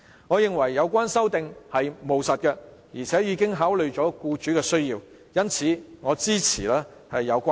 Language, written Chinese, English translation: Cantonese, 我認為有關修訂務實，而且已考慮僱主的需要，因此支持有關修正案。, In my view the amendment is practical and has also considered the employers needs . I thus support the amendment